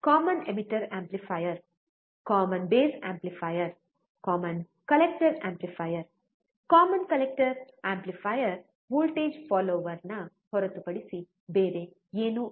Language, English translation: Kannada, Common emitter amplifier, common base amplifier, common collector amplifier, right, Common collector amplifier is nothing but voltage follower again